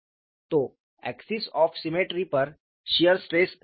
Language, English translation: Hindi, So, on the axis of symmetry, shear stress is 0